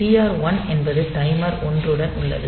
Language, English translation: Tamil, So, TR1 is with for timer 1